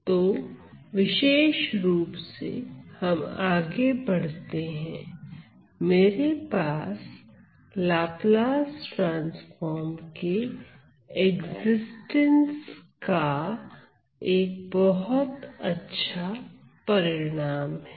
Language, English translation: Hindi, So, in particular; so let us move on I have a nice result related to the existence of the Laplace transform